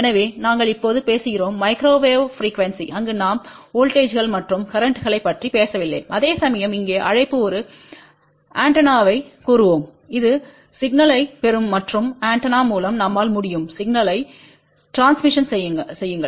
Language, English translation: Tamil, So, we are talking about now microwave frequency, where we do not talk about voltages and currents whereas, there we call let us say an antenna which will receive the signal and through the antenna we can transmit the signal